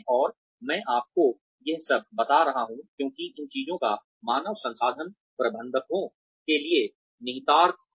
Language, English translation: Hindi, And, I am telling you all this, because these things, have an implication for a human resources managers